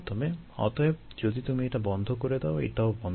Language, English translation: Bengali, therefore, if you cut this off, also gets cut off